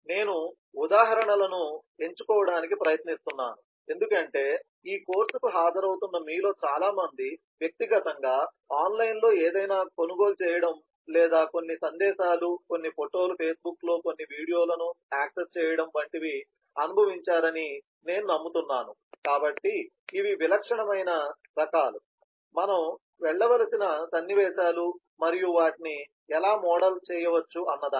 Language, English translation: Telugu, because i am trying to pick up examples, which i believe that most of you who are attending this course would have personally experienced either purchasing something online or accessing certain message, certain photos, certain video on the facebook, so these are the typical kinds of sequences that we will need to go through and this is how they can be modelled